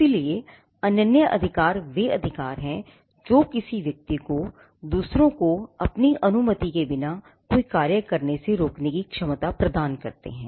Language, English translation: Hindi, So, exclusive rights are rights which confer the ability on a person to stop others from doing things without his consent